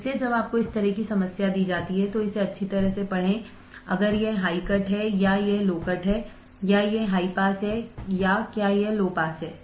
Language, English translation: Hindi, So, when you are given this kind of problem just read it thoroughly, if it is this high cut or is it low cut or is it high pass or is it low pass